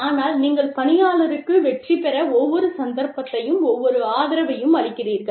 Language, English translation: Tamil, But, you give the employee, every opportunity, and every support, to succeed, and change one's behavior